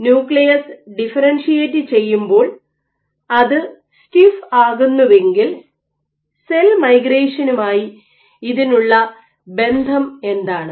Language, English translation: Malayalam, So, if a nucleus stiffens as it differentiates, what is the link on cell migration